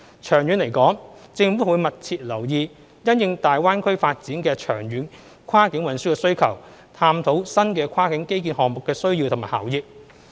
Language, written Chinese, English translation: Cantonese, 長遠而言，政府會密切留意因應大灣區發展的長遠跨境運輸需求，探討新的跨境基建項目的需要及效益。, In the long run the Government will closely monitor the long - term cross - boundary transport needs in view of the development of GBA and explore the needs for and benefits of the new cross - boundary infrastructure projects